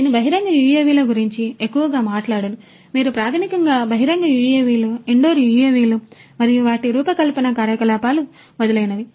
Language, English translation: Telugu, I have mostly talked about outdoor UAVs the UAVs that I have shown you are basically outdoor UAVs, indoor UAVs and their design operations etc